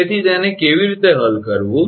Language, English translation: Gujarati, So, how to solve it